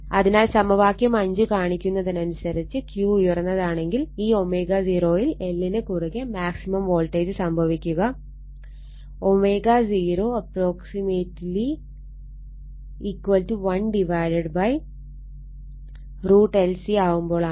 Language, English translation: Malayalam, So, equation 5 shows that for a high Q the maximum voltage your across L occurs at your this omega 0 approximately 1 upon root over L C